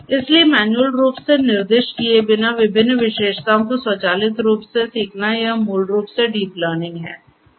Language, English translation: Hindi, So, learning different features automatically without manually specifying them this is basically the deep learning